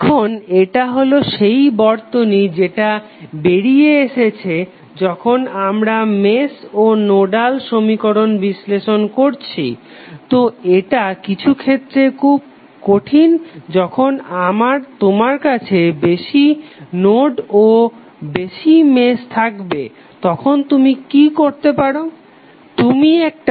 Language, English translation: Bengali, Now this is the circuit we came out while analyzing the mesh and nodal equations, so this sometimes is very difficult when you have more nodes and more meshes, then what you can do